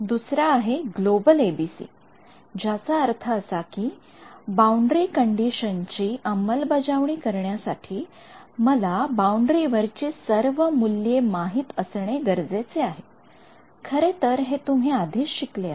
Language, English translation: Marathi, The second is a global ABC which means that to implement this boundary condition, I need to know the value of all the fields on the boundary actually you have already seen this